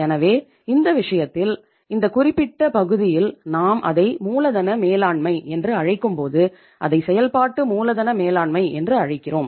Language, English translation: Tamil, So in this subject, in this particular area as we call it as working capital management, we call it as working capital management